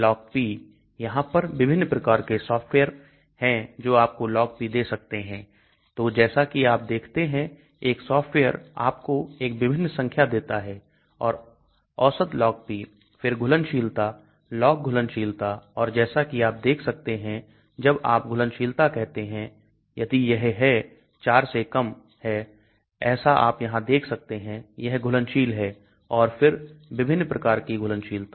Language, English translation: Hindi, LogP; there are different softwares which can give you logP so as you can see each software gives you some different values and average logP, then solubility, log solubility and as you can see when you say solubility class if it is < 4, as you can see here, it is soluble and then different types of solubility